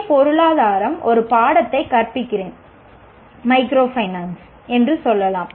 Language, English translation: Tamil, Or I am teaching a course in BA economics on, let us say, microfinance